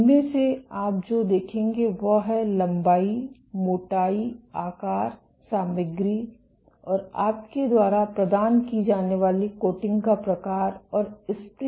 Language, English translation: Hindi, From these what you will see is the length the width, the thickness, the shape, the material, the type of coating you provide and the spring constant